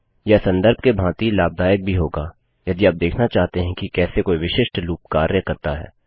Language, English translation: Hindi, This will be useful as a reference also if you need to refer to how a particular loop works